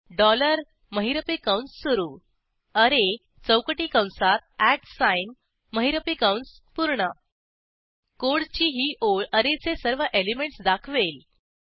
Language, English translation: Marathi, Dollar opening curly brace array within square bracket @ closing curly brace This line of code displays all the elements of an array